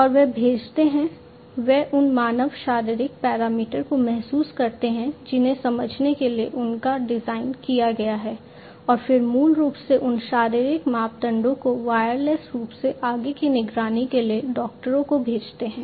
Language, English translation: Hindi, And they send, they sense the human physiological parameter that they have been designed to sense and then basically those physiological parameters wirelessly they are going to send those parameters to the doctors for further monitoring